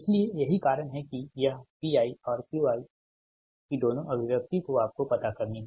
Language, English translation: Hindi, so thats why this pi and qi both, you have to find out its expression